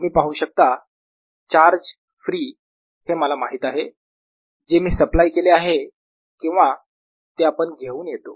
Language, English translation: Marathi, you see, charge free is something that i know, what i have supplied, or something that we bring in